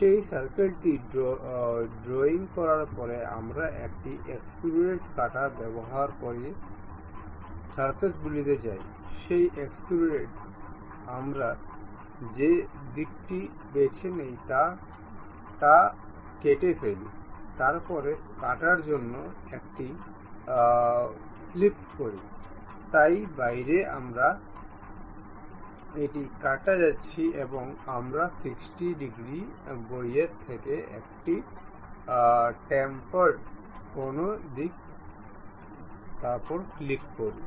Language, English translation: Bengali, After drawing that circle we go to features use extrude cut, in that extrude cut the direction we pick through all, then flip side to cut, so outside we are going to cut and we give a tapered angle like 60 degrees outwards, then click ok